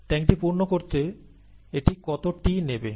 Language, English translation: Bengali, How long would it take t to fill this tank